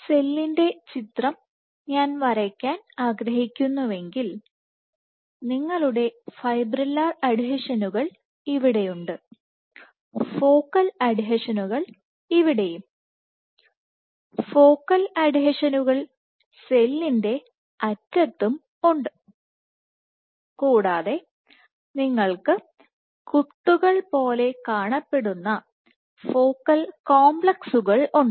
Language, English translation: Malayalam, If I would to draw a schematic of the cell, your focal adhesions are present here, and the fibrillar adhesions are present here, focal adhesions are also present at the real of the cell, and you have focal complexes these appear like dots yeah really small in size